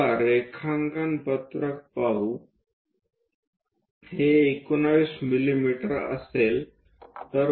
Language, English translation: Marathi, So, let us look at the drawing sheet this will be 19 mm